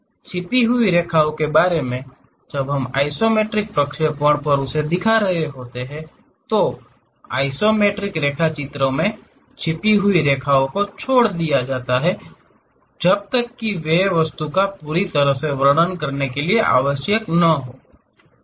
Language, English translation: Hindi, Regarding hidden lines when we are representing on isometric projections; in isometric drawings, hidden lines are omitted unless they are absolutely necessary to completely describe the object